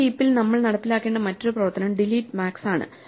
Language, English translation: Malayalam, The other operation we need to implement in a heap is delete max